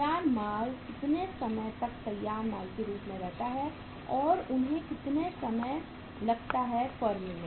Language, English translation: Hindi, How long the finished goods remain as finished goods and how much time they take to stay in the firm